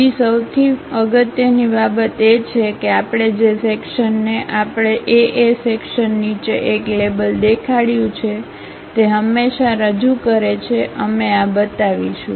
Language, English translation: Gujarati, The second most thing is we always represent whatever the section we have employed with below section A A label we will show it